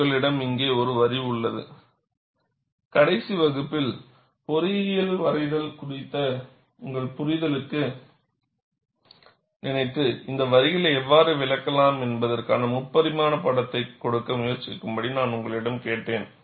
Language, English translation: Tamil, In the last class, I had asked you to go to your understanding of engineering drawing, and try to give, a three dimensional picture of how these lines can be interpreted